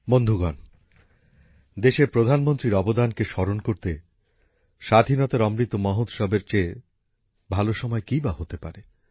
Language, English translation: Bengali, Friends, what can be a better time to remember the contribution of the Prime Ministers of the country than the Azadi ka Amrit Mahotsav